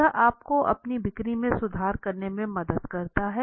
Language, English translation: Hindi, So this helped them improving their sales of